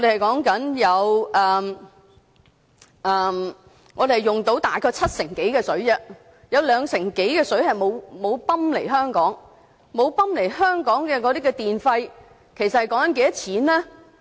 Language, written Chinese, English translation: Cantonese, 本港現時大約使用七成多東江水，有兩成多的水沒有泵來港，這方面使用的電費是多少錢呢？, At present Hong Kong is using about some 70 % of the Dongjiang water we purchase . Some 20 % of water is never pumped to Hong Kong . How much can this be translated into electricity costs?